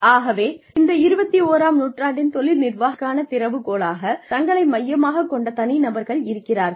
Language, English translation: Tamil, So, in this case, the key to Career Management, for the 21st century, where individuals focus on themselves